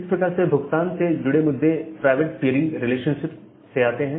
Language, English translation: Hindi, So, those kind of charge issues they come from this private peering relationship